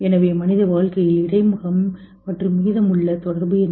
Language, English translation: Tamil, So what is the interface and connection of human life with the rest